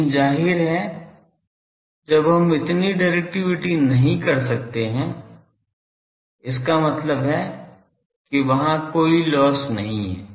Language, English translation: Hindi, But obviously, we cannot when this is directivity; that means, there are no losses